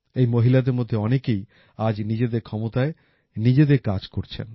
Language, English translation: Bengali, Most of these women today are doing some work or the other on their own